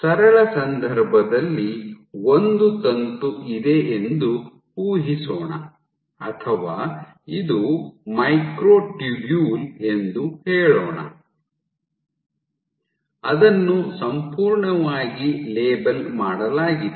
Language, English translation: Kannada, So, let us assume in the simple case you have a filament or even let us say let us say this is be a microtubule which is entirely labeled